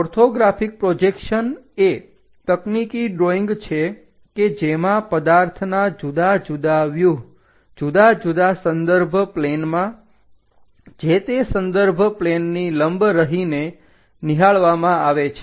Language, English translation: Gujarati, An orthographic projection is a technical drawing in which different views of an object are projected on different reference planes observing perpendicular to respective reference planes